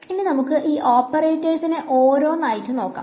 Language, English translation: Malayalam, So, let us look at these operators now one by one ok